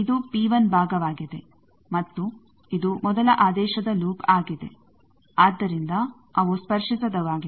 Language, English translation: Kannada, P 1 is this part and this is first order loop, so obviously they are non touching